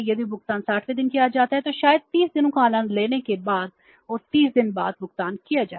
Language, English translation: Hindi, Number two is if the payment is made on the 60th day, if the payment is made on the 60th day maybe after enjoying 30 days and then the 30 more days then what will happen